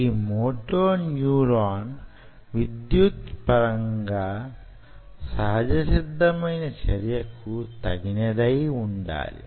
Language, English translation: Telugu, this moto neuron has to be spontaneously, spontaneously active, electrically